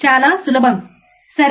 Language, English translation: Telugu, Extremely easy, right